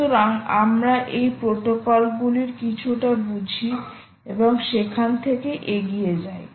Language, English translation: Bengali, so let us see understand a little bit of this protocols and move on from there